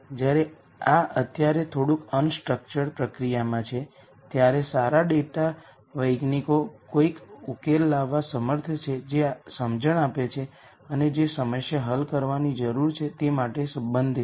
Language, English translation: Gujarati, While this is to some extent currently a little bit of unstructured process, good data scientists are able to come up with a solution ow that makes sense and that is relevant for the problem that needs to be solved